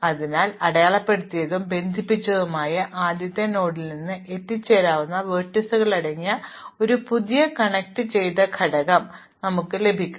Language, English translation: Malayalam, So, we will get a new connected component, consisting of those vertices which are reachable from the first node which was marked unconnected